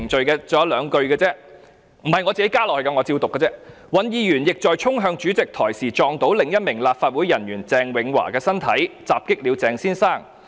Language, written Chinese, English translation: Cantonese, 該信還有兩句，這並非我加入的，我只是引述："尹議員亦在衝向主席台時撞到另一名立法會人員鄭永華的身體，襲擊了鄭先生。, There are just two more sentences that I have not yet read out . They are not added by me and I am only citing them from the letter Hon WAN also assaulted another officer of the LegCo namely CHENG Wing - wah when he dashed towards the Presidents pedestal and bumped into the body of Mr CHENG